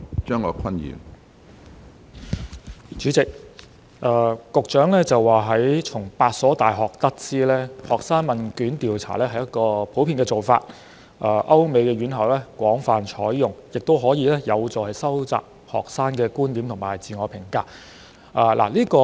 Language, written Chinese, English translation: Cantonese, 主席，局長聲稱從8所大學得知，學生問卷調查屬普遍做法，亦在歐美高等院校廣泛採用，能有助收集學生觀點和自我評價。, President the Secretary claimed that they were given to understand from the eight UGC - funded universities that student survey was a common approach which had been widely adopted by tertiary institutions in Europe and America and that it could be a means to gather students perspectives and self - evaluation